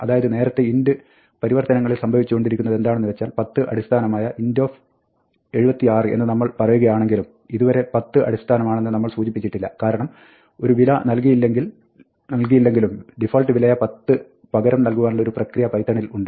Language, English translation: Malayalam, So, what is happening in the earlier int conversions is that, it is as though we are saying, int Ò76Ó with base 10, but since, we do not provide the 10, python has a mechanism to take the value that is not provided, and substitute to the default value 10